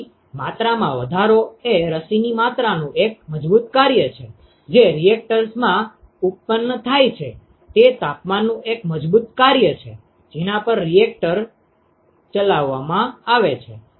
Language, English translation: Gujarati, So, quantification is a strong function of the amount of vaccine that is produced in the reactor is a strong function of the temperature at which the reactor is operated